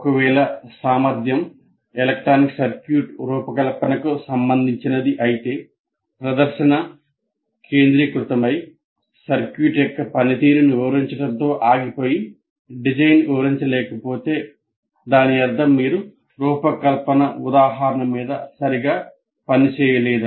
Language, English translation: Telugu, But if the demonstration mainly focuses on and stops with explaining the function of the circuit, not the design, that means you don't work out a design example